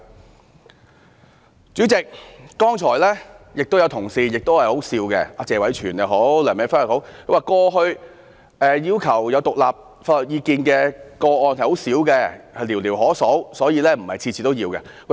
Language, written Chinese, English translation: Cantonese, 代理主席，剛才亦有同事的發言很可笑，不論是謝偉銓議員或梁美芬議員，他們說過去要求有獨立法律意見的個案很少，寥寥可數，所以，不是每次也需要。, Deputy President just now some speeches delivered by my colleagues are rather ridiculous . Including Mr Tony TSE or Dr Priscilla LEUNG they all said that DoJ had rarely sought legal opinions from outside and they were few and far between . For that reason seeking legal opinions from outside was not a must on every occasion